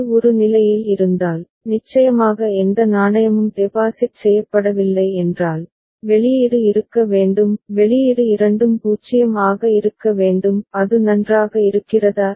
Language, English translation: Tamil, If it is at state a and no coin has been deposited of course, output should be both the output should be 0; is it fine